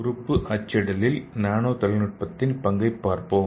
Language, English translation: Tamil, So let us see the role of nanotechnology in organ printing